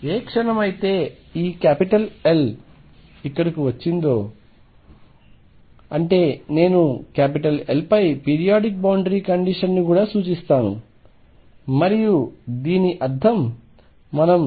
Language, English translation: Telugu, The moment arrived this L here; that means, I also imply periodic boundary condition over L and this means k equals 0 2 n pi over L n equals 1 2 3 and so on plus minus 1 plus minus 2 and so on